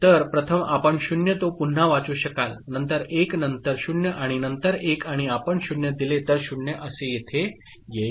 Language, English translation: Marathi, So, first you will read 0 here, then 1, then 0 and then 1 and if you continue to give 0 so 0 will come here